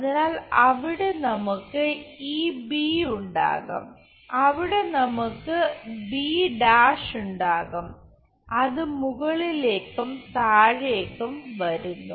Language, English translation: Malayalam, So, there we will have this b, there we will have b, it comes top and bottom switches